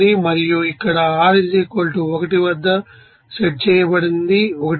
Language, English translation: Telugu, And here, you know set at r = 1 is 1